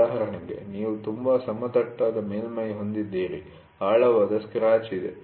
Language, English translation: Kannada, For example; you have a very flat surface there is a deep scratch